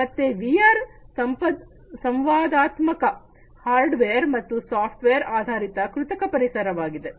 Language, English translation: Kannada, So, VR is a mixture of interactive hardware and software based artificial environment, right